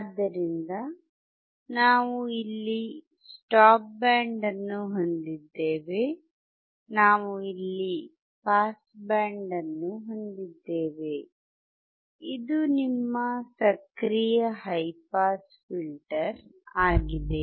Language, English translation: Kannada, So, we have here stop band, we have here pass band; this is your active high pass filter